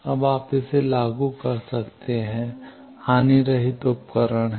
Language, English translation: Hindi, Now, you can apply it is the lossless device